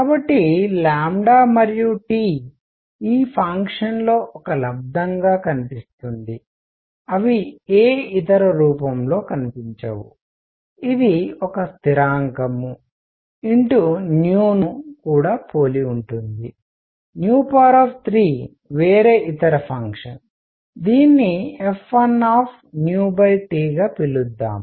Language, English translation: Telugu, So, lambda and T appear in this function as a product, they do not appear in any other form which is also similar to a constant times nu the frequency cube some other function, let us call it f 1 nu over T